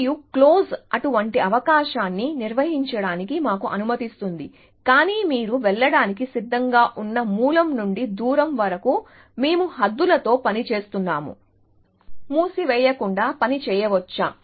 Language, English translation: Telugu, And close allows us to avoid such a possibility, but given the fact that we have working with bounds on the distance from the source that you have willing to go, can I work without closed